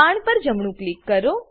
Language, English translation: Gujarati, Right click on the arrow